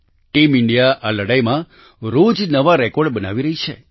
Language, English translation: Gujarati, Team India is making new records everyday in this fight